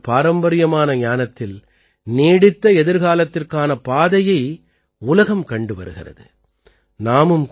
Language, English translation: Tamil, In this traditional knowledge of India, the world is looking at ways of a sustainable future